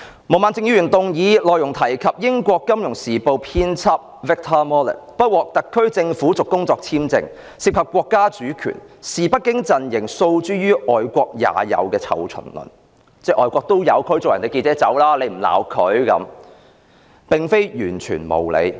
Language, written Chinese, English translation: Cantonese, 毛孟靜議員的議案，提及英國《金融時報》亞洲新聞編輯 Victor MALLET 的工作簽證不獲特區政府續期，涉及國家主權，親北京陣營於是訴諸"外國也有"的"臭蟲論"，指外國也有驅逐記者離開，為何泛民議員又不責罵？, Ms Claudia MOs motion mentions the HKSAR Governments refusal to renew the work visa of Mr Victor MALLET Asia news editor of the Financial Times . The refusal is related to the sovereignty of China . The pro - establishment camp thus put forward a tu quoque argument querying why pan - democrats did not reprimand those countries which also expelled journalists